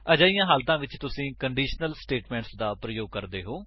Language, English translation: Punjabi, In such cases you can use conditional statements